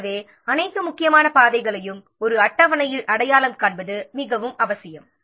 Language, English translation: Tamil, Therefore, it is very much necessary to identify all the critical paths in a schedule